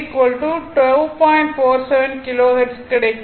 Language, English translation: Tamil, 475 Kilo Hertz right is equal to 2